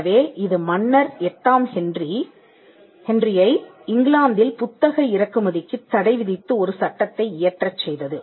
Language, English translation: Tamil, So, that led to Henry the VIII leading passing a law, banning the imports of books into England because printing technology was practiced everywhere